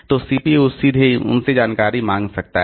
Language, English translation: Hindi, So, CPU can ask for information from them directly